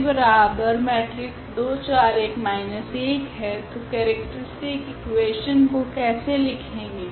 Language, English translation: Hindi, So, how to write the characteristic equation